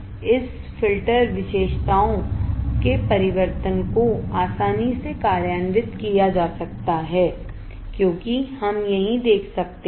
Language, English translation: Hindi, The transformation of this filter characteristics can be easily implemented as we can see here right